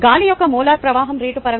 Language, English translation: Telugu, we need the molar flow rate of air